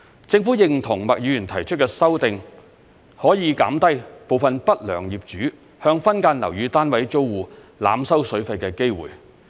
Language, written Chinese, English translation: Cantonese, 政府認同麥議員提出的修訂可以減低部分不良業主向分間樓宇單位租戶濫收水費的機會。, The Government echoes that the amendment proposed by Ms MAK can reduce the chance for unscrupulous owners of subdivided units to overcharge their tenants for the use of water